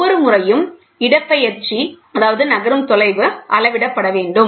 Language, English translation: Tamil, The displacement each time has to be measured